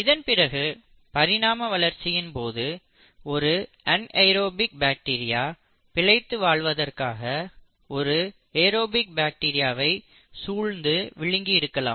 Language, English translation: Tamil, So somewhere during the course of evolution, an anaerobic bacteria must have engulfed this aerobic bacteria to survive, right